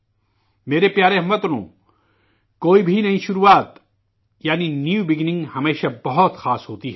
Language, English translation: Urdu, My dear countrymen, any new beginning is always very special